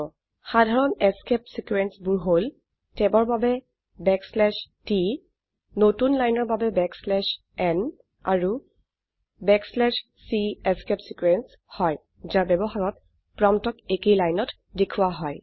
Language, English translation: Assamese, Common escape sequences include \t for tab, \n for new line and \c is a escape sequence which when used causes the prompt to be displayed on the same line